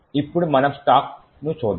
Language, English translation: Telugu, Now let us look at the stack